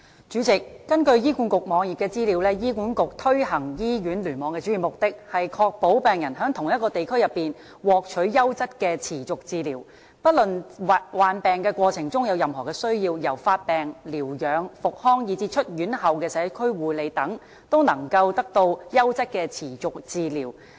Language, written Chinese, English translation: Cantonese, 主席，根據醫管局網頁的資料，醫管局推行醫院聯網的主要目的，是"確保病人在同一個地區內，獲取優質的持續治療，不論病患過程中有任何需要——由發病、療養、復康以至出院後的社區護理等——都能得到優質的持續治療。, President according to the information on the website of the Hospital Authority HA the main objective of HA in implementing hospital clusters is to ensure that patients receive a continuum of high quality care within the same geographical setting and throughout their episode of illness―from acute phase through convalescence rehabilitation and community after - care